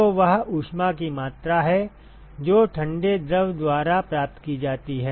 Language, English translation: Hindi, So, that is the amount of heat that is gained by the cold fluid